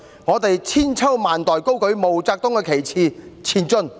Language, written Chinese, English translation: Cantonese, 我們千秋萬代高舉毛澤東旗幟，前進！, We will for many generations raise high MAO Zedongs banner! . March on!